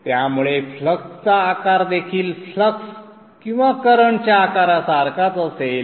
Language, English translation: Marathi, So therefore the flux shape also will be similar to the flux, the current shape